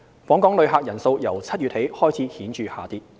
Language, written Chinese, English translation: Cantonese, 訪港旅客人數由7月起開始顯著下跌。, Visitor arrivals declined significantly since July